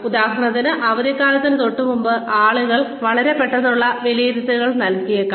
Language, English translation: Malayalam, For example, just before the holiday season, people may give, very quick appraisals